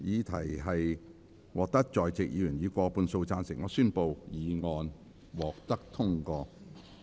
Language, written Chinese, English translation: Cantonese, 由於議題獲得在席議員以過半數贊成，他於是宣布議案獲得通過。, Since the question was agreed by a majority of the Members present he therefore declared that the motion was passed